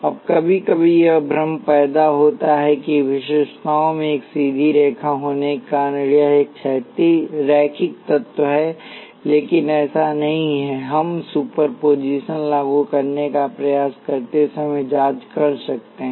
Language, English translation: Hindi, Now sometimes this confusion arises that because the characteristics consist of a straight line this is a linear element, but it is not, that we can check while trying to apply superposition